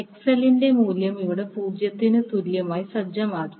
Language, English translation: Malayalam, You set the value of XL is equal to 0 here